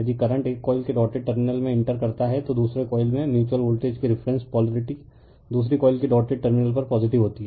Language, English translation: Hindi, If a current enters the dotted terminal of one coil , the reference polarity of the mutual voltage right in the second coil is positive at the dotted terminal of the second coil